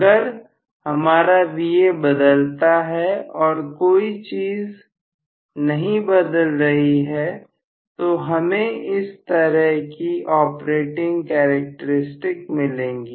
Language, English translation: Hindi, If I have Va itself change, without changing anything else further, this is going to be the operating characteristics